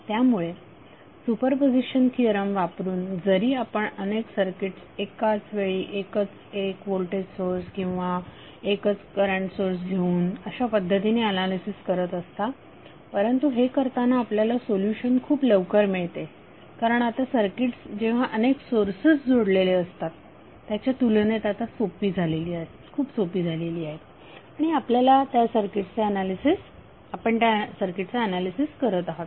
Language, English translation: Marathi, So using super position theorem all though you are analyzing multiple circuits by taking 1 voltage source or 1 current source on at a time but eventually you may get the solution very early because the circuits are now simpler as compare to having the multiple sources connected and you are analyzing that circuit